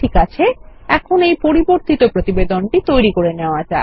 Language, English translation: Bengali, Okay, let us run our modified report now